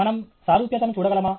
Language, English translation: Telugu, Can we look at analogy